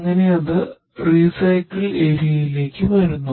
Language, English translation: Malayalam, So, that it can be it comes into recycle area